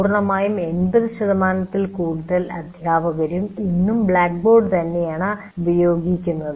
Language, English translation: Malayalam, And fairly more than 80% of the faculty today are still using blackboard